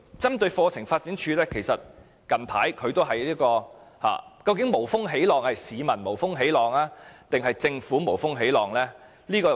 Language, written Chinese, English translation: Cantonese, 針對課程發展處近來遭受的批評，究竟是市民無風起浪，還是政府無風起浪呢？, Regarding the recent criticisms against CDI are they groundless accusations made by the public or the Government?